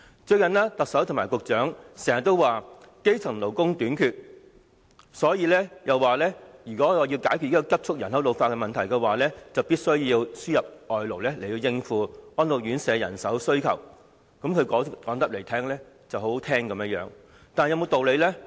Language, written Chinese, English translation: Cantonese, 最近，特首和局長經常表示，基層勞工短缺，因此，如果要解決人口急促老化的問題，必須輸入外勞，以應付安老院舍的人手需求；說得十分動聽，但有沒有道理呢？, Recently the Chief Executive and the Secretary often mention the shortage of grass - roots workers . Therefore to solve the problem of rapid ageing of population it is necessary to import labour to satisfy the manpower demand of residential care homes for the elderly RCHEs . It seems a pleasing comment but is it reasonable?